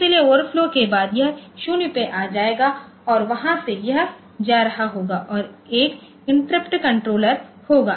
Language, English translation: Hindi, So, after the overflow, it will be coming down to 0 and from there it will be going and there will be an interrupt controller